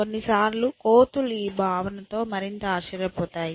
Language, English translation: Telugu, Sometimes I think that the apes might be more aghast at this notion